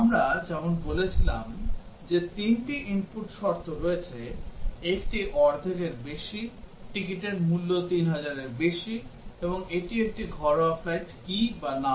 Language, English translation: Bengali, As we said that there are three input conditions, one is more than half full, ticket cost is more than 3000, and whether it is a domestic flight or not